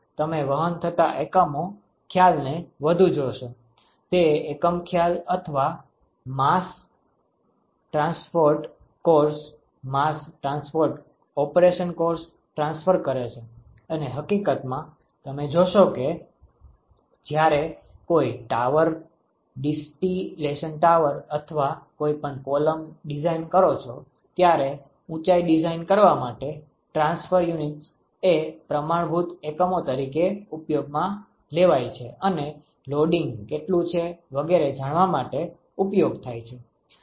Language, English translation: Gujarati, You will see a lot more of the ‘transfer unit’ concept, it transfer unit concept or mass transport course mass transport operation course and in fact, you will see that when you design a tower, a distillation tower or any column the transfer units is used as a standard units for designing the height designing what should be loading etcetera